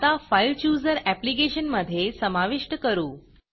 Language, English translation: Marathi, Now, to integrate the FileChooser into your application.